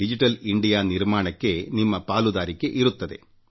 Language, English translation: Kannada, It will be your contribution towards making of a digital India